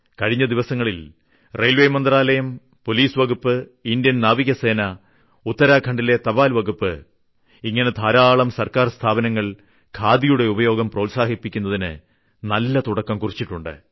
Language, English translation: Malayalam, Few days ago, Railway Ministry, Police Department, Indian Navy, Postal Department of Uttarakhand and many such government organizations took intiatives to promote the use of khadi